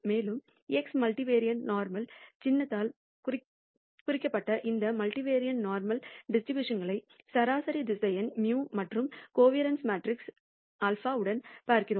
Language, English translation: Tamil, And specifically we look at this multivariate normal distribution we denoted by the symbol x multivariate normal with mean vector mu and covariance matrix sigma